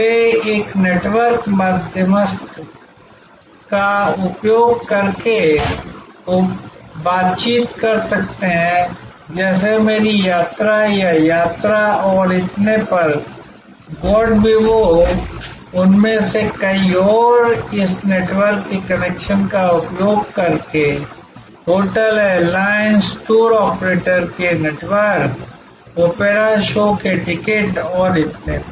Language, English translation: Hindi, They can negotiate using a network intermediary like make my trip or Yatra and so on, Goibibo so many of them and using the connections of this network, networks of hotels, airlines, tour operators, tickets for opera shows and so on